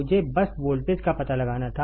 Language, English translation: Hindi, I had to just find out the voltage